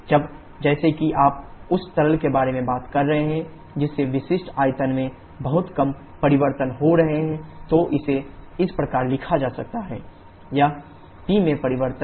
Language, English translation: Hindi, Now as you are talking about the liquid which is having extremely small changes in its specific volume then this can be written as v into delta P or changing in this particular situation